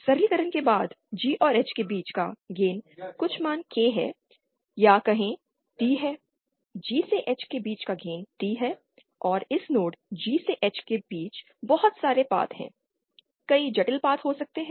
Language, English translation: Hindi, And after simplification the gain between G and H is some value K or say T, the gain between G and G to H is T, then and said there are a lot of paths between this node G to H, many complex paths maybe